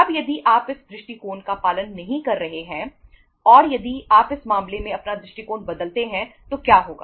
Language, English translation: Hindi, Now if you are not following this approach and if you change your approach in this case what will happen